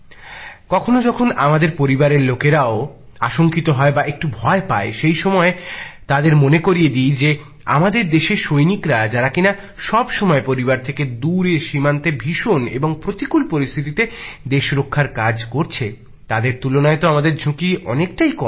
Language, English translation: Bengali, Sometimes when our family members are apprehensive or even a little scared, on such an occasion, I remind them that the soldiers of our country on the borders who are always away from their families protecting the country in dire and extraordinary circumstances, compared to them whatever risk we undertake is less, is very less